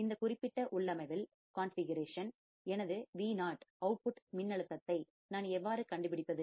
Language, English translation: Tamil, In this particular configuration, how can I find my output voltage Vo